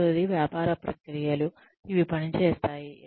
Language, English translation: Telugu, The second is business processes, which are operational